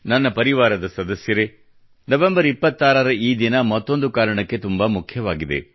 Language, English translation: Kannada, My family members, this day, the 26th of November is extremely significant on one more account